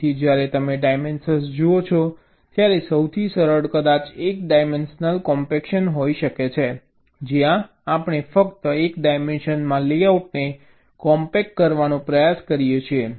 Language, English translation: Gujarati, so when you look at dimension, the simplest can be possibly one dimensional compaction, where we try to compact the layouts in only one dimension